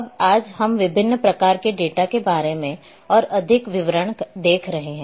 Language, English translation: Hindi, Now today we will be looking in much more details about the different types of data